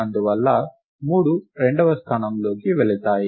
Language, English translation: Telugu, And therefore, three goes into the second location